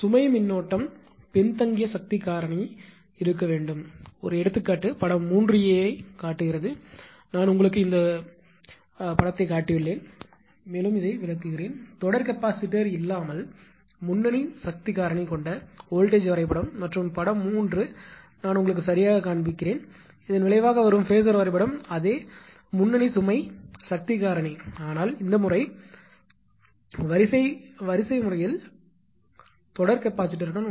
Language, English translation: Tamil, As an example figure 3a shows a I showed you all this figure and explained also; voltage diagram with a leading load power factor without having series capacitor in the line and figure 3 will also I showed you right; the resultant phasor diagram with the same leading load power factor but this time with series capacitor in the line right